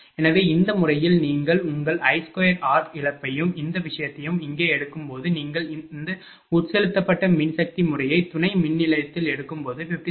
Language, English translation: Tamil, So, in this method, that your when you take your I square and loss and this thing your here, when you are taking this injected power method that substation it is coming 57